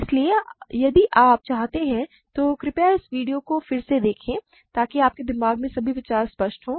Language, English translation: Hindi, So, if you need to, please see this video again so that all the ideas are clear in your mind